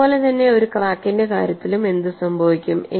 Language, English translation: Malayalam, So, similarly in the case of a crack, what happens